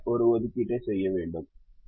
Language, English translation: Tamil, don't make an assignment